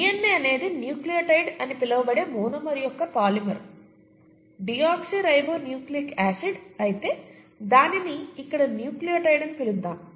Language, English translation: Telugu, DNA is a polymer of the monomer called a nucleotide; deoxynucleotide; but let’s call it nucleotide here